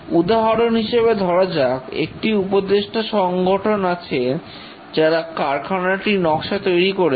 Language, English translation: Bengali, For example, that there is a consultant organization who designed the plant